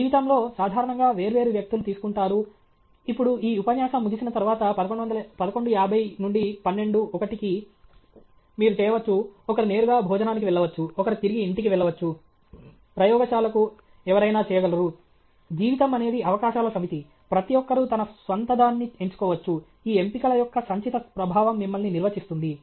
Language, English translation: Telugu, In life, generally different people will take… Now, after this lecture is over, from 11:50 to let’s say 12 ‘o’ clock to 1 ‘o’ clock, you can… somebody can go straight for lunch, somebody can go back to lab, somebody can do… life is a set of possibilities; everybody can choose his own okay; then what the cumulative effect of all these choices is what you become